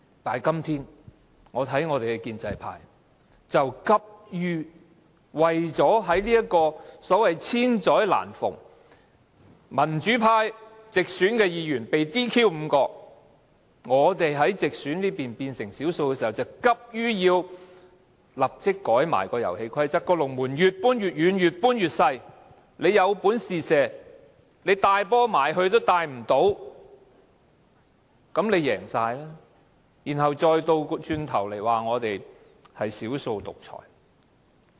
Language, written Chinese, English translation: Cantonese, 但是，今天我看到建制派，急於為了在這個"千載難逢"，民主派5位直選議員被 "DQ"， 我們在直選那邊變成少數的時機下，便急於修改遊戲規則，將龍門越搬越遠，越改越細，着我們有本事便射球，但我們連球也帶不到龍門附近。, But as we can see at this very time when five pro - democracy Members have been disqualified and we have become the minority in the group of directly elected Members the pro - establishment camp has simply hastened to seize this very rare opportunity . They want to change the rules of the game push the goal farther away and reduce its size daring us to shoot . But we cannot even dribble the ball to anywhere near the goal